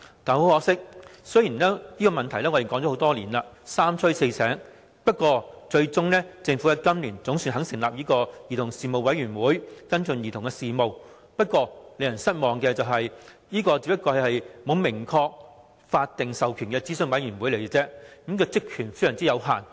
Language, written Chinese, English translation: Cantonese, 可惜，雖然問題已討論多年，而在我們三催四請下，政府在今年總算肯成立兒童事務委員會，跟進兒童事務，不過令人失望的是，這只是一個沒有明確法定授權的諮詢委員會而已，職權有限。, Unfortunately although this issue has been discussed for many years and after respected urging the Government was finally willing to establish the Commission on Children this year to follow up issues related to children it is disappointing that it is only an advisory body with no well defined statutory powers so its purview is limited